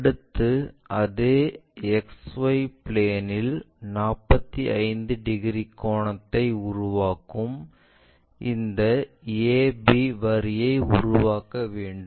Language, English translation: Tamil, Now on the same X Y plane we want to touch this a b line which is making 45 degrees angle